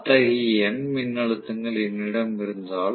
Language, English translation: Tamil, So, if I have such n number of such voltages